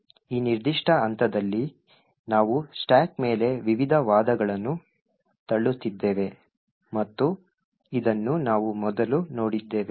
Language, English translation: Kannada, At this particular point we are pushing the various arguments on the stack and this we have seen before